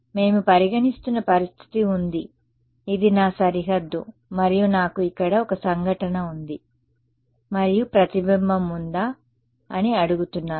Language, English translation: Telugu, We have the situation we are considering is this is my boundary and I have a wave that is incident over here and we are asking that is there a reflection